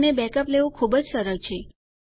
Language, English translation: Gujarati, And taking a backup is very simple